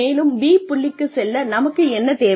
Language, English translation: Tamil, And, what do we need in order to get to point B